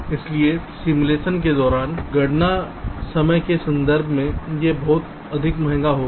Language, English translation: Hindi, so this will be much more costly in terms of the computation time during simulation